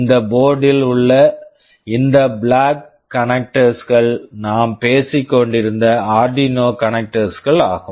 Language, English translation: Tamil, In this board these black connectors are the Arduino connectors that we were talking about